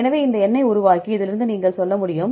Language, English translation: Tamil, So, made these number, then you from this you can tell